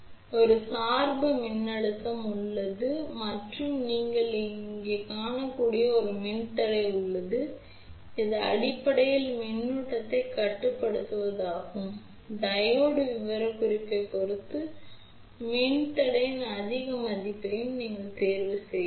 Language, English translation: Tamil, So, here is the biasing voltage and there is a resistor you can see over here, which is basically to control the current, you can choose higher value of resistor also depending upon the Diode specification